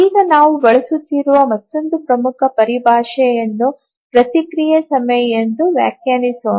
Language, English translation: Kannada, Now let's define another important terminology that we'll be using is the response time